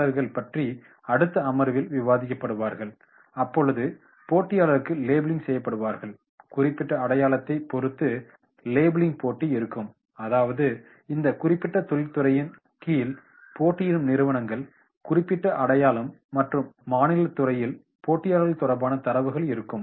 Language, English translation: Tamil, Now, the competitors will be discussed in the next point that is the labelling will be done for the competition, the competition labelling that will depend on the specific identification that is which are the companies which are into the competition under this particular industry, specific identification and data related to the competitors in the State industry